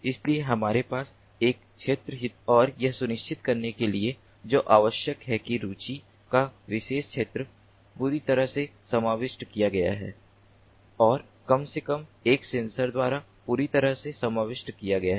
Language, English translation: Hindi, so we have an area of interest and what is required is to ensure that that particular area of interest is covered, is fully covered, is fully covered by at least one sensor, so that there has to